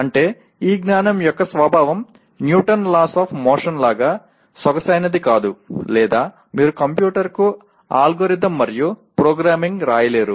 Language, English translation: Telugu, That means the nature of this knowledge is not as elegant as like Newton’s Laws of Motion or you cannot write an algorithm and programming to the computer